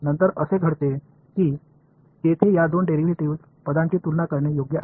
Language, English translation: Marathi, Then comes the case obviously, where these two derivative terms are comparable right